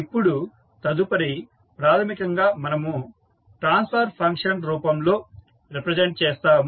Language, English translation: Telugu, Now, next is to basically we have represented in the form of transfer function